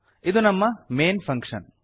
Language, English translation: Kannada, This is our main functions